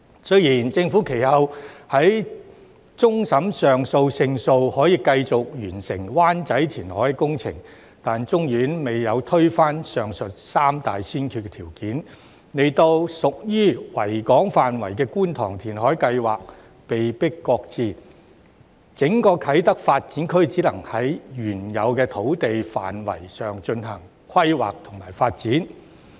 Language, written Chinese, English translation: Cantonese, 雖然政府其後在終審法院上訴勝訴，可繼續完成灣仔填海工程，但終審法院未有推翻上述三大先決條件，令屬於維港範圍的觀塘填海計劃被迫擱置，整個啟德發展區只能在原有土地範圍上進行規劃和發展。, Although the Government eventually succeeded in the appeal to the Court of Final Appeal and could continue to complete the Wan Chai reclamation works . However as the Court of Final Appeal did not overrule the above mentioned three criteria the Kwun Tong reclamation project within the Victoria Harbour had to be shelved . Hence the Kai Tak Development Area could only be planned and developed on the original site